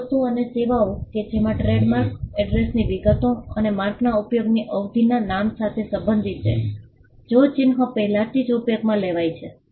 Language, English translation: Gujarati, Goods and services to which the trademark pertains to name address attorney details and period of use of the mark if the mark has already been in use